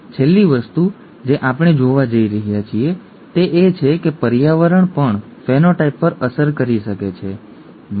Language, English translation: Gujarati, The last thing that we are going to see is that even the environment could have an impact on the phenotype, okay